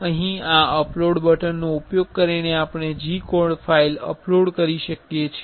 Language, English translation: Gujarati, Here using this upload button we can upload G code files